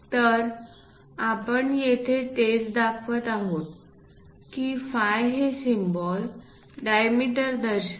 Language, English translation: Marathi, So, that is the thing what we are showing here, the symbol phi represents diameter